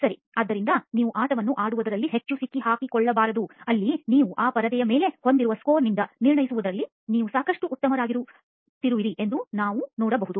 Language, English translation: Kannada, Right, so you should not get caught too much in playing the game which I can see you are getting quite good at judging by the score that you have on that screen there